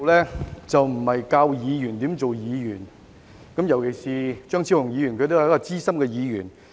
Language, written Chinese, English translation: Cantonese, 主席，我並非要教議員怎樣當議員，特別是張超雄議員也是一位資深的議員。, President I am not trying to teach other Members how to conduct themselves as Members particularly given the fact that Dr Fernando CHEUNG is also a senior Member